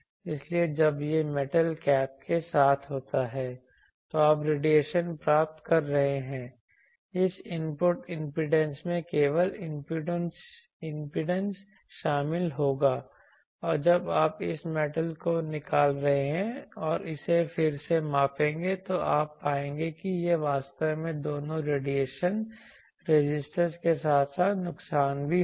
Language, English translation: Hindi, So, when it is with metal cap you are getting the radiation, this is input impedance will consist of solely R L and when you are removing this metal and measure it again you will find it to be actually both radiation resistance as well as loss